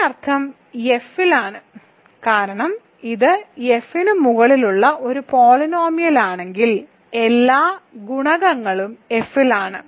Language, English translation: Malayalam, This means alpha is because if it is a polynomial over F all the coefficients are in F